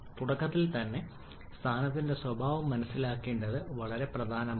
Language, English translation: Malayalam, It is very important to understand the state nature of the state at the beginning itself